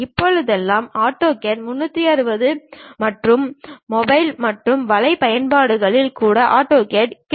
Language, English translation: Tamil, Nowadays, AutoCAD is available even on mobile and web apps as AutoCAD 360